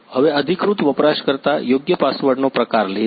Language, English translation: Gujarati, Now authorized user types the correct password